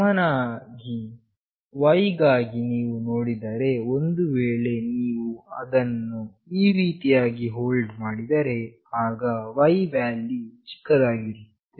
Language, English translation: Kannada, Similarly, for Y if you see, if you hold it this way, the Y value will be maximum; and if you hold it in this way, the Y value will be minimum